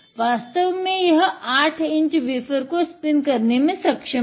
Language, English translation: Hindi, It actually has the capability to spin 8 inch wafer